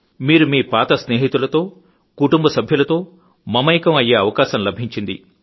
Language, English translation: Telugu, You will also get an opportunity to connect with your old friends and with your family